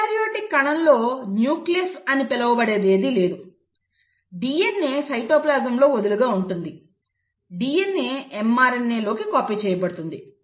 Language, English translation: Telugu, So in a prokaryotic cell, there is nothing called as nucleus, the DNA is loosely sitting in the cytoplasm; the DNA gets copied into an mRNA